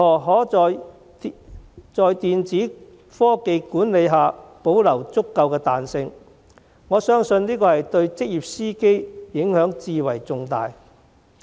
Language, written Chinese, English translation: Cantonese, 我相信在電子科技管理下保留足夠的彈性，對職業司機的影響至為重要。, I think that the retention of adequate flexibility in the application of electronic technologies is of vital importance to professional drivers